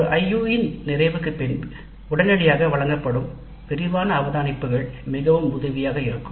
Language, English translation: Tamil, So, the detailed observations given immediately after the completion of an IU would be very helpful